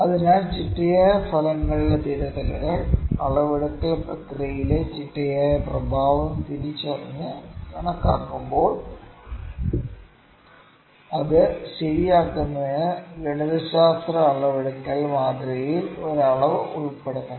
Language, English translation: Malayalam, So, corrections of systematic effects; when the systematic effect in the measurement process has been identified and quantified, a quantity should be included in the mathematical measurement model to correct for it